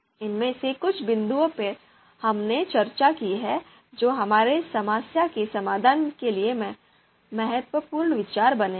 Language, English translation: Hindi, So some of these points that we have discussed will become you know important consideration for our problem solving